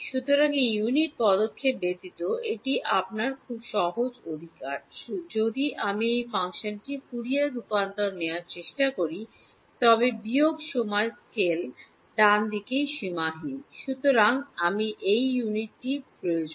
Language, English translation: Bengali, So, this is your very simple right without this unit step if I try to take the Fourier transform of this function is only unbounded at the minus time scale right